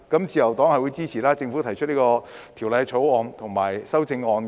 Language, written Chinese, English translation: Cantonese, 自由黨支持政府提出的《條例草案》和修正案。, LP supports the Bill and the amendments proposed by the Government